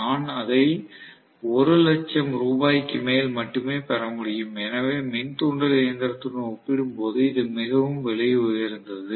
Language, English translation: Tamil, I am going to get it only for more than 1 lakh rupees, so it is very costly compared to the induction machine